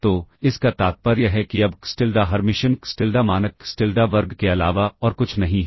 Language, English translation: Hindi, So, this implies now xTilda Hermitian xTilda is nothing but norm xTilda square